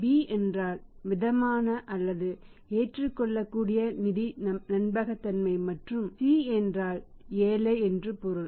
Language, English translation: Tamil, B means moderate or acceptable level of financial credibility and C means poor